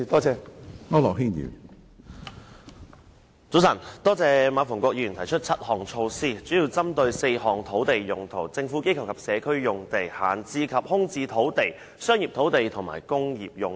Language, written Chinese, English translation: Cantonese, 早晨，多謝馬逢國議員提出7項措施，這些措施主要針對4種土地用途：政府機構及社區用地、閒置及空置土地、商業土地，以及工業用地。, Morning . I thank Mr MA Fung - kwok for proposing the seven measures that target at four types of land uses namely Government Institution or Community sites idle and vacant sites commercial sites and industrial sites